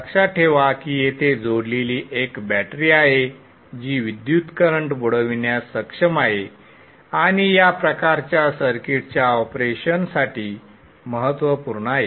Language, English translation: Marathi, Recall that there is a battery that there is a battery which is capable of sinking current connected here and that is important for the operation of these type of circuits